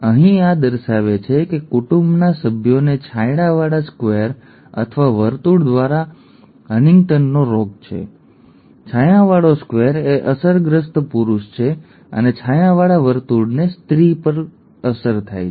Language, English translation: Gujarati, Here this shows the family members who have HuntingtonÕs disease by a shaded square or a circle, okay, a shaded square is an affected male and the shaded circle is affected female, okay